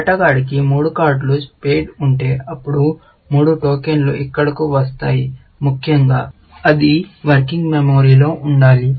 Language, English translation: Telugu, If the player had three cards of spades, then three tokens would come down here, essentially, because that should be in the working memory